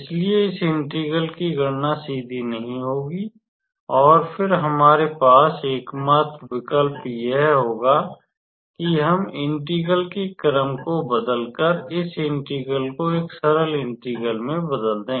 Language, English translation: Hindi, So, calculating this integral will not be straightforward and then, the only option we will have is to transform this integral into a simpler integral by doing the change of order